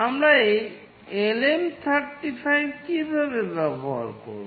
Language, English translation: Bengali, How do we use this LM 35